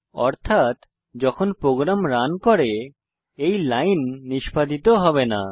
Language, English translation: Bengali, It means, this line will not be executed while running the program